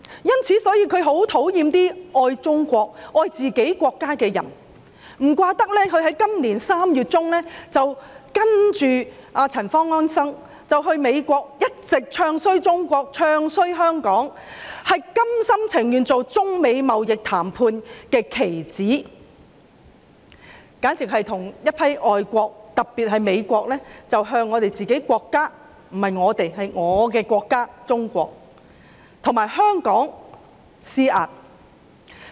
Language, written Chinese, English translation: Cantonese, 因此，他很討厭那些愛中國、愛自己國家的人，難怪他在今年3月中跟隨陳方安生到美國，一直"唱衰"中國、"唱衰"香港，心甘情願成為中美貿易談判的棋子，與一眾外國，特別是美國，向我們自己國家——不是我們，應是我的國家中國和香港施壓。, That is why he hates those people who love China and their own country . No wonder he went to the United States in March this year with Anson CHAN to bad - mouth China and Hong Kong willingly lower himself to being a pawn in the China - United States trade negotiations and join hands with various foreign countries the United States in particular to exert pressure on our country―not our country I should say my country China―and Hong Kong